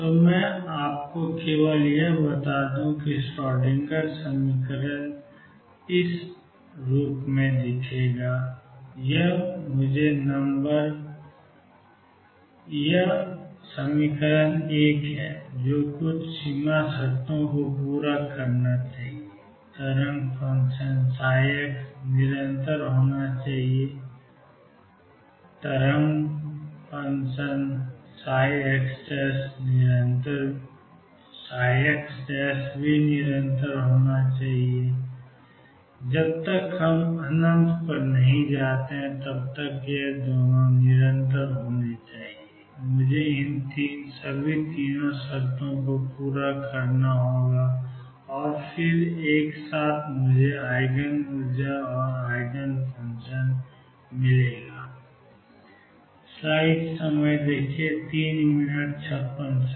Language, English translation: Hindi, So, let me just give you that for the Schrodinger equation minus h cross square over 2 m psi double prime plus V x psi equals E psi I am supposed to number 1 satisfy certain boundary conditions the wave function psi x is continuous and third psi prime x is continuous unless we goes to infinity, I have to satisfy all these 3 conditions and then this together gives me the Eigen energies and eigenfunctions